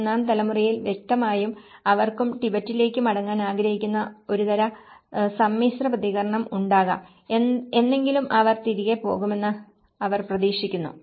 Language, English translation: Malayalam, Where in the third generation, obviously, they also have could have a kind of mixed response where they also want to go back to Tibet and you know, someday that they hope that they go back